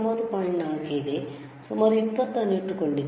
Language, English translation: Kannada, 4, I have kept around 20, right